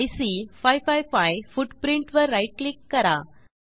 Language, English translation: Marathi, Now right click on IC 555 footprint